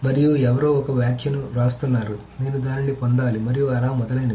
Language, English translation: Telugu, And somebody writes a comment, I should be getting it and so on and so forth